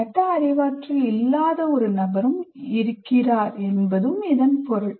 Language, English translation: Tamil, It also means that there is also a, what do you call a non metacognitive person